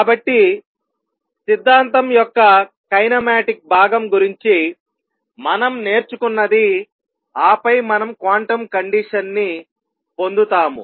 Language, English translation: Telugu, So, that much is something that we have learned about the kinematic part of the theory, and then we obtain the quantum condition